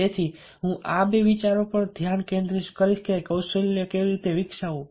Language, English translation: Gujarati, so i shall be focusing around these two ideas: how to develop skills so that we are able to persuade